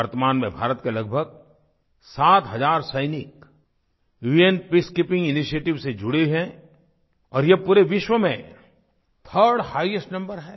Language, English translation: Hindi, Presently, about seven thousand Indian soldiers are associated with UN Peacekeeping initiatives which is the third highest number of soldiers from any country